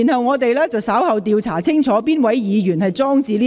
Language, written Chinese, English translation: Cantonese, 我們稍後會調查是哪位議員放置該物件。, We will investigate which Member has placed the device later